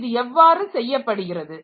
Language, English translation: Tamil, So, how is it done